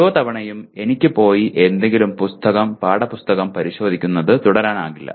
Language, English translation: Malayalam, Every time I cannot go and keep consulting some book, textbook